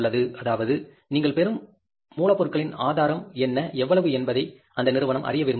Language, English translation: Tamil, That institution would like to know that how much, what is the source of the raw material you are getting